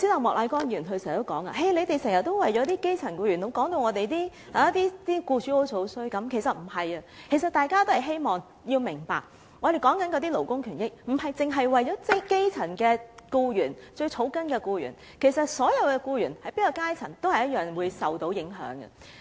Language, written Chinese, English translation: Cantonese, 莫乃光議員剛才說，我們經常為了基層僱員，把僱主說得很差，其實不是的，希望大家明白，我們說的勞工權益，不僅是為了基層僱員、最草根的僱員，其實所有僱員，無論是在哪個階層，也是會受到影響的。, Mr Charles MOK said just now that when speaking for grass - roots employees we often painted employers in a very bad light . In fact it is not so . I hope Members can understand that in talking about labour rights and interests we are not doing so just for the elementary - level or grass - roots employees in fact all employees no matter to which strata they belong are all affected